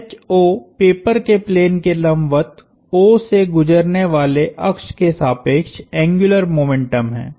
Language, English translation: Hindi, Likewise, the angular momentum is also computed about a line passing through O perpendicular to the plane of the paper